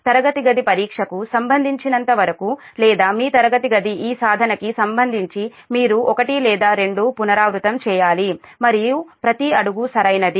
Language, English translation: Telugu, but as far as classroom exam is concerned or your classroom exercise is concerned, that you should make one or two iterations, that and make every step is correct